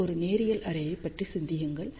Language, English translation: Tamil, So, just think about this 1 linear array